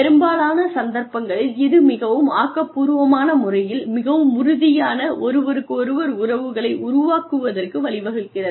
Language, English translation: Tamil, And, that in most cases, leads to the building of, very constructive, very solid, interpersonal relationships